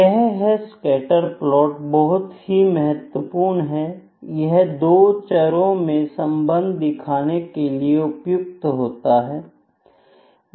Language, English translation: Hindi, Scatter plots are very important scatter plots are well suited to show the relationship between 2 variables